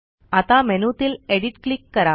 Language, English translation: Marathi, Now click on Select